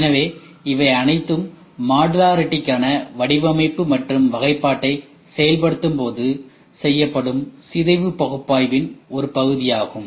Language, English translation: Tamil, So, these are all part of decomposition analysis, which is done when we implement design for modularity or classification